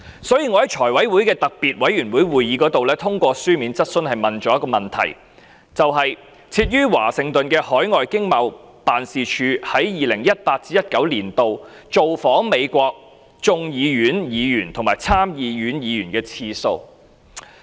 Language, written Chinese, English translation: Cantonese, 所以，我在財務委員會的特別會議上提出一項書面質詢，詢問設於華盛頓的經貿辦，在 2018-2019 年度造訪美國眾議院議員和參議院議員的次數。, Hence in a special meeting of the Finance Committee I asked a written question on the Washington ETO regarding their number of calls on members of the United States House of Representatives and Senate in 2018 - 2019